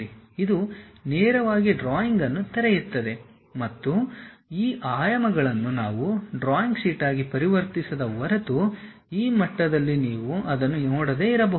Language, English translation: Kannada, It straight away opens the drawing and these dimensions you may not see it at this level, unless we convert this entire thing into a drawing sheet